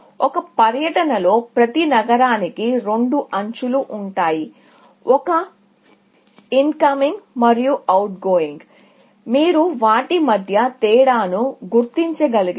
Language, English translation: Telugu, In a tour, every city will have two edges; one incoming and one outgoing, if you can distinguish between them